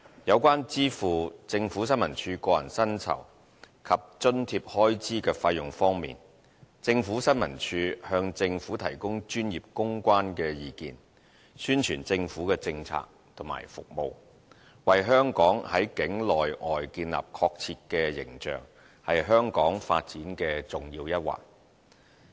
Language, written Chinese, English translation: Cantonese, 有關支付政府新聞處個人薪酬及津貼開支的費用方面，政府新聞處向政府提供專業公關的意見，宣傳政府的政策和服務，為香港在境內外建立確切的形象，是香港發展的重要一環。, Concerning the expenses on the payment of personal emoluments and allowances for ISD since ISD provides professional advice on public relations and promotes government policies and services with a view to projecting an accurate image of the city within and outside Hong Kong it is an important department in the development of Hong Kong